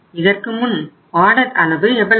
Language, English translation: Tamil, What was our order size earlier